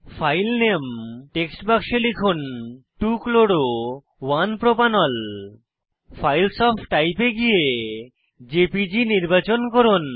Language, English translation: Bengali, In the File Name text box, type 2 chloro 1 propanol Go to Files of Type and select jpg